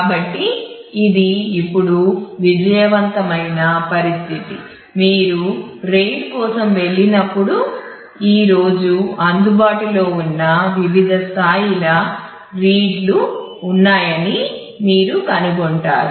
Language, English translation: Telugu, So, it is a win win situation now naturally when you go for RAID you will find that there are different levels of read that are available today goes up to level 6 right